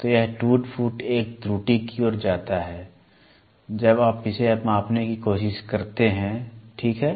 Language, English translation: Hindi, So, this wear and tear leads to an error when you try to measure it, ok